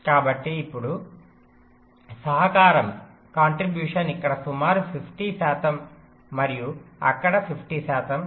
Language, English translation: Telugu, so now the contribution becomes roughly fifty, fifty, fifty percent here and fifty percent there